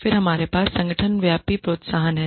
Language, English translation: Hindi, Then we have organization wide incentives